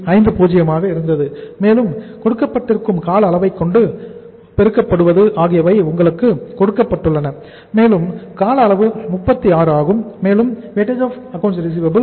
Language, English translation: Tamil, 50 and to be multiplied by the duration and duration is given to you and that duration is 36 then plus War is that is 0